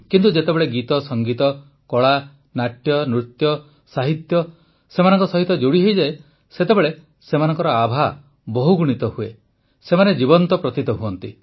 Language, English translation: Odia, But when songmusic, art, dramadance, literature is added to these, their aura , their liveliness increases many times